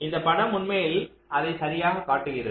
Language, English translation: Tamil, so this diagram actually shows that exactly